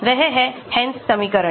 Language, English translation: Hindi, that is the Hansch equation